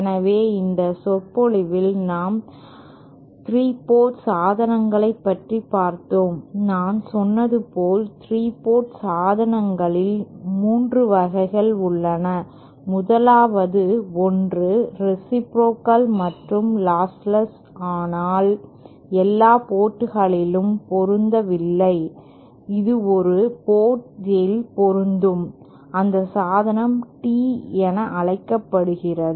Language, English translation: Tamil, Ha so, in this lecture we cover the 3 port devices as I said, there are 3 types of 3 port devices, the 1st one being reciprocal and also lossless but not matched at all ports, it can be have a match at one port and that device is called a tee